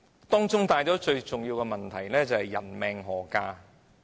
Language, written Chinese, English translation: Cantonese, 當中所帶出最重要的問題是：人命何價呢？, The most important question that has been brought up in the process is how much a human life is worth